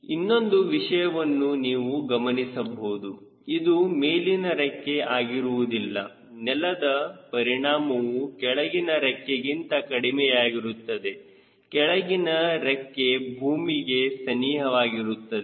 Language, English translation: Kannada, another you could see that since is the high wing, ground effect will be little lesser than a low wing if it is here a low wing would be close the ground